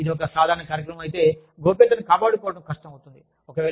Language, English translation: Telugu, If, it is a common program, maintaining confidentiality, becomes difficult